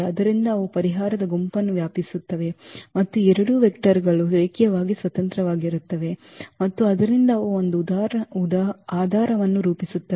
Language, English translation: Kannada, So, they span the solution set and these two vectors are linearly independent and therefore, they form a basis